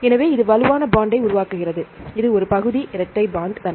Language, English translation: Tamil, So, this form the strong bond this is a partial double bond character right